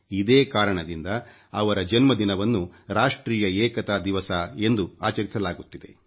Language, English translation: Kannada, And that is why his birthday is celebrated as National Unity Day